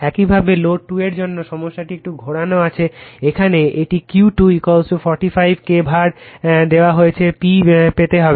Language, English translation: Bengali, Similarly, for Load 2 problem is twisted right , here it is q 2 is equal to 45 kVAr is given you have to obtain P